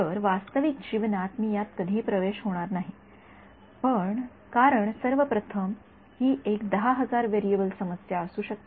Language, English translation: Marathi, So, in real life I will never have access to this because first of all it will be a may be a 10000 variable problem